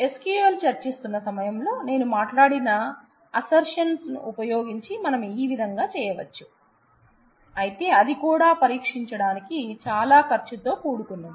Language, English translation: Telugu, You can do that using assertions, in the in the while discussing SQL I were talked about assertions we can do that using assertions, but that too is very expensive to test